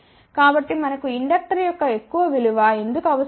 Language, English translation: Telugu, So, why we need a large value of inductor